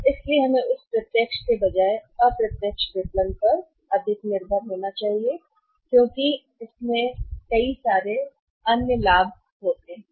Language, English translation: Hindi, So, we should depend more upon the indirect marketing rather than of on that direct marketing because of many other advantages of the indirect marketing